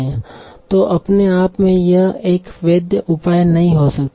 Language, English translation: Hindi, But this is not a valid measure in itself